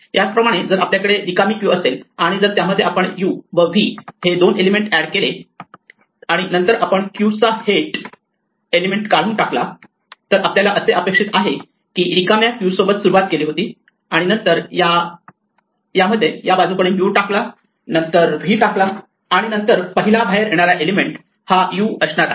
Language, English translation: Marathi, In the same way if we have an empty queue and we add to it two elements u and v and then we remove the head of the queue, then we expect that we started with an empty queue and then we put in from this end u and then we put in a v, then the element that comes out should be the first element namely u